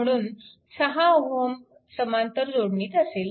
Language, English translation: Marathi, So, this 6 ohm will be in parallel right